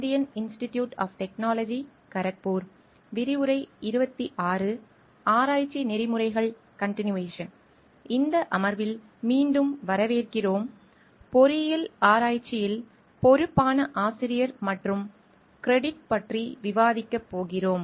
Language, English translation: Tamil, Welcome back in this session we are going to discuss about responsible authorship and credit in engineering research